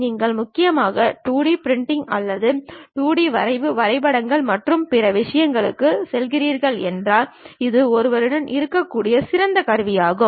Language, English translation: Tamil, If you are mainly going for 2D printing or 2D drafting, blueprints and other things this is the best tool what one can have